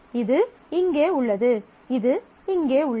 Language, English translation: Tamil, So, this is here and this is here